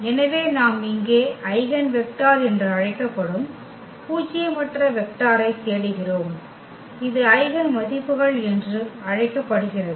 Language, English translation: Tamil, So, we are looking for the nonzero vector here which is called the eigenvector and this is called the eigenvalue ok